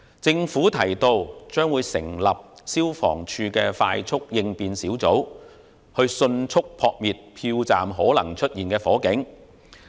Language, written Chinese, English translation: Cantonese, 政府表示會成立消防處快速應變小組，以迅速撲滅票站可能出現的火警。, According to the Government emergency response teams will be set up by the Fire Services Department to timely put out a fire which may break out in any polling station